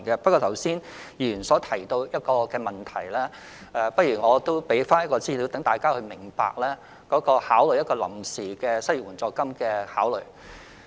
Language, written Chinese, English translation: Cantonese, 不過，就議員剛才提到的問題，我希望引述一些資料，讓大家明白推行臨時失業援助金的考慮。, However with regard to the problem mentioned by the Member just now I wish to cite some statistics so that Members can understand our concern over the introduction of the temporary unemployment assistance